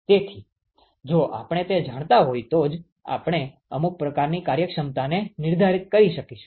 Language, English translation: Gujarati, So, only if we know what that is we will be able to define some sort of efficiencies